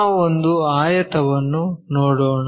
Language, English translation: Kannada, Let us look at a rectangle